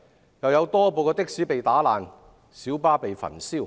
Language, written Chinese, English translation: Cantonese, 此外，更有多部的士被打爛，小巴被焚燒。, In addition many taxis were smashed and minibuses burned